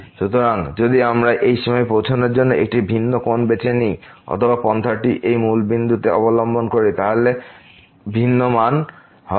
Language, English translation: Bengali, So, if we choose a different angle to approach to this limit or to this approach to this point here the origin then the value will be different